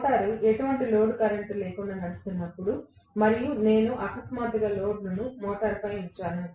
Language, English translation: Telugu, That is the reason why, when the motor is running on no load and I suddenly put the load on the motor